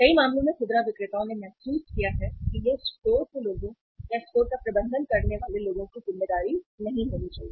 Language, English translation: Hindi, Many in many cases the retailers have realized that it should not be a responsibility of the store people or people managing the store